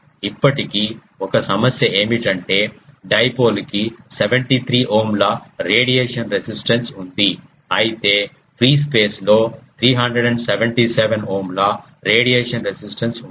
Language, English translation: Telugu, One of the still problem is there that dipole has a radiation resistance of 73 Ohm whereas, free space has a radiation resistance of 377 Ohm